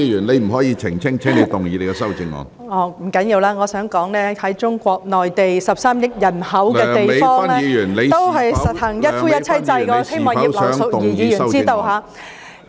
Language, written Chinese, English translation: Cantonese, 不要緊，我想說在中國內地這個有13億人口的地方，也是實行一夫一妻制，我希望葉劉淑儀議員知道。, Never mind . I wish to point out that Mainland China a place with a population of 1.3 billion also practises monogamy